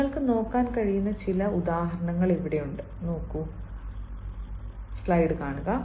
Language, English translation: Malayalam, here are some examples you can have a look at